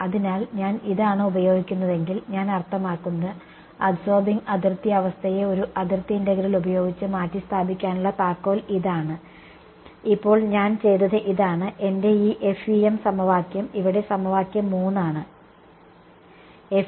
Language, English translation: Malayalam, So, if I use this is I mean this is the key of what I am saying replacing the absorbing boundary condition by a boundary integral now what I have done is, my this FEM equation over here equation 3 the left hand side is the entire machinery of FEM left hand side is what is going to guarantee a sparse matrix for me